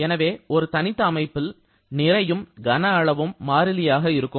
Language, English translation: Tamil, Therefore, for an isolated system both mass and volume remains constant